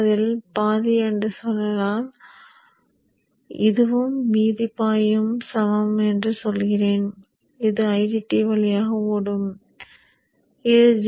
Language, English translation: Tamil, So let us say half of that is this and the remaining half I will say equal which will flow through ID2 if this is D2